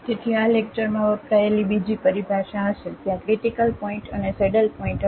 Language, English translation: Gujarati, So, there will be another terminology used for used in this lecture there will be critical point and the saddle points